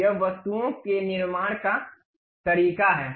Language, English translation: Hindi, This is the way you construct the objects